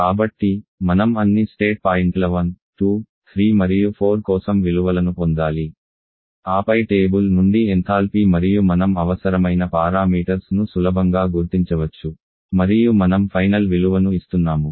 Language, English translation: Telugu, So, we need to get the values for all the state points 1, 2, 3 and 4 then the enthalpy from the table and then you can easily identify the required parameters and I am giving the final value COP for this case will be equal to 3